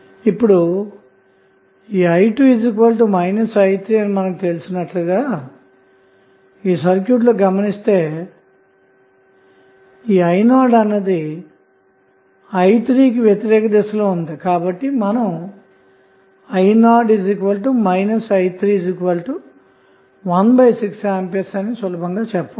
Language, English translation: Telugu, Now, as we know that i 2 is equal to minus i 3 if you see this circuit i naught is in the opposite direction of i 3 so we can simply say i naught is minus of i 3 that is nothing but 1 by 6 ampere